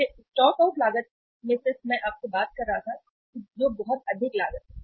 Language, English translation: Hindi, So stock out cost I was just talking to you that is a very high cost